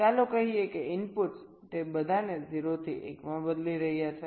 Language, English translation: Gujarati, lets say the inputs are changing all of them from zero to one